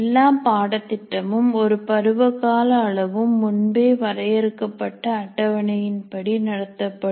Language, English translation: Tamil, All courses are of one semester duration and have to be conducted as per the predefined schedule